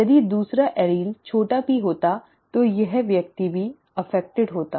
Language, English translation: Hindi, If the other allele had been a small p then this person would have also been affected